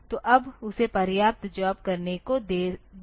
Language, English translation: Hindi, So, that has been given enough jobs to do now